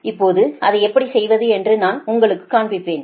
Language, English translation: Tamil, now i will show you how to do it, right